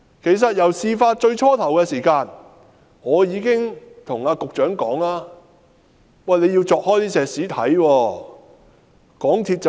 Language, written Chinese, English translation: Cantonese, 其實，在事發初期，我已告訴局長必須鑿開混凝土抽驗。, In fact when the incident was first exposed I did tell the Secretary that concrete structures must be opened up for spot checks